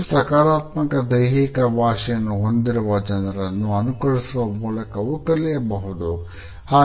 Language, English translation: Kannada, We can learn to emulate gestures of people who have more positive body language